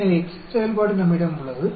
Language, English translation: Tamil, So, we have the Excel function